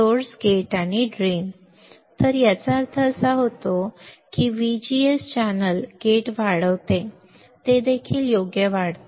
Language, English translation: Marathi, So, when this means that VGS increases channel gate also increases correct